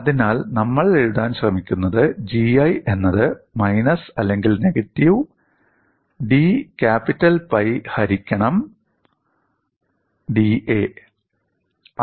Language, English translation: Malayalam, So, what we are trying to write is, we write G 1 as minus of d capital pi divided by d A